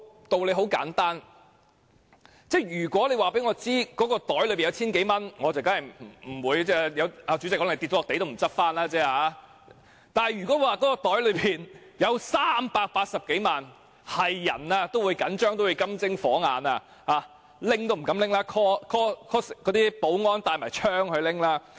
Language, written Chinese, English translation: Cantonese, 道理很簡單，如果告訴我口袋中有千多元，主席可能跌在地上也不會拾回，但如果說口袋中有380多萬元，誰也會緊張，誰也會金睛火眼瞪着，取也不敢取，會召喚保安攜槍去取。, The logic is simple if one has around 1,000 in his pocket the Chairman may not even pick it up when the money is seen dropped on the floor; but if one has more than 3.8 million in his pocket anyone will be nervous and stares hard at it . We may even call in armed security guards to collect it because we are afraid of carrying such a sum